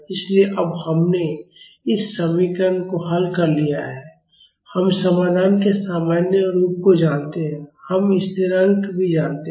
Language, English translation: Hindi, So, now, we have solved this equation we know the general form of the solution and we know the constants also